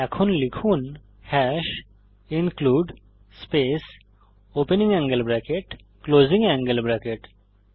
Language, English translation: Bengali, Type hash #include space opening angle bracket closing angle bracket